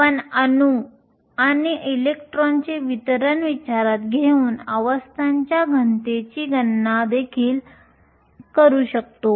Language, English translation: Marathi, We can also do calculations for density of states taking into account the distribution of atoms and electrons